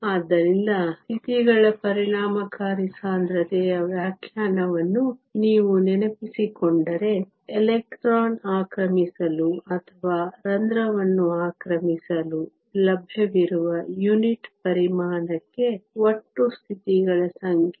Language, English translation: Kannada, So, if you remember the definition of the effective density of states is the total number of states per unit volume that is available for the electron to occupy or the hole to occupy